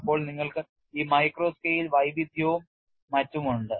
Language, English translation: Malayalam, Then you have this micro scale heterogeneity and so on